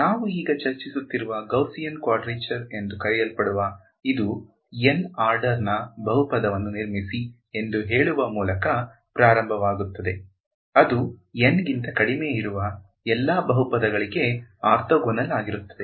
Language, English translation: Kannada, So, this so called Gaussian quadrature that we are discussing now it starts with saying construct a polynomial of order N such that it is orthogonal to all polynomials of order less than N